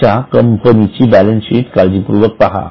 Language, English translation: Marathi, So, look at the balance sheet of your own company